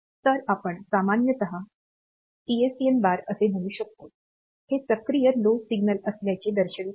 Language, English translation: Marathi, So, we will generally call it as PSEN bar; telling that this is a active low signal